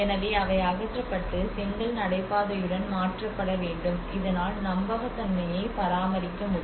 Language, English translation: Tamil, So they need to be removed and replaced with the brick paving so in that way that authenticity has to be maintained